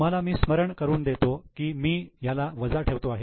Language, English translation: Marathi, Now to just remind you I am just putting it as negative